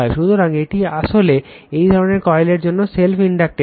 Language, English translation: Bengali, So, this is actually self inductance for this kind of coil